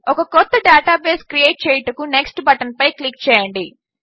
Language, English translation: Telugu, Click on the Next button to create a new database